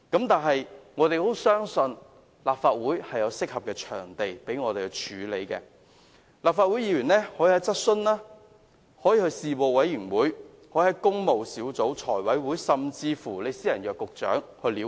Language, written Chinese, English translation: Cantonese, 但是，我們相信立法會有適當途徑讓我們跟進問題，立法會議員可以透過質詢、事務委員會、工務小組委員會、財務委員會，甚至私下約見局長了解。, However we believe that there are suitable channels for us in the Council to follow up the matter . Legislative Council Members may learn more about the matter by means of asking questions in the Council at Panels at the Public Works Subcommittee at the Finance Committee or even making a private appointment with the Secretary for Transport and Housing